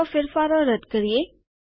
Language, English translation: Gujarati, Let us undo this change